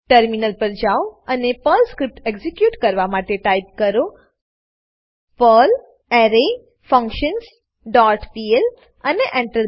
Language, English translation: Gujarati, Then switch to the terminal and execute the Perl script by typing perl arrayFunctions dot pl and press Enter